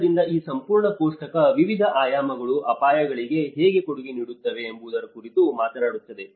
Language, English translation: Kannada, So, this whole chart talks about how different dimensions contribute to the risks